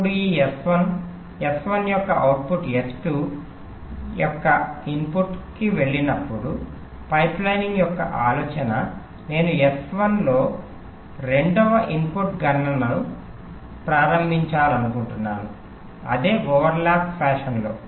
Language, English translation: Telugu, now, when, when this s one output of s one goes to input of s two, the idea of pipelining is: i want to start the second input computation in s one in the same over lap fashion